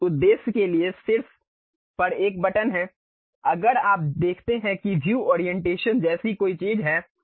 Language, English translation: Hindi, For that purpose there is a button at top on, if you see that there is something like View Orientation